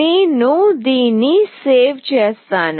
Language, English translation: Telugu, I will save this